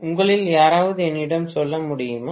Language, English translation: Tamil, Can any one of you tell me